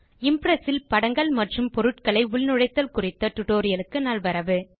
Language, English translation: Tamil, Welcome to the Tutorial on LibreOffice Impress Inserting Pictures and Objects